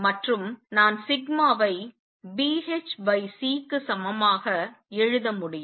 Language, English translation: Tamil, And therefore, I can write sigma as equal to B h over C